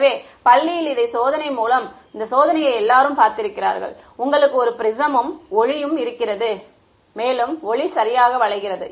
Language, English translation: Tamil, So, everyone has seen in this experiment in school right you have a prisms and light through it and light gets bent right